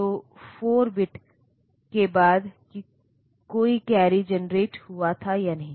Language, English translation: Hindi, So, after 4 bit whether there was a carry generated or not